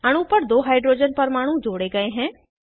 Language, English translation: Hindi, Two hydrogen atoms are added to the molecule